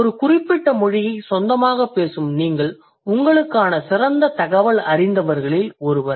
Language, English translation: Tamil, You as a native speaker of a particular language, you are one of the best informants for yourself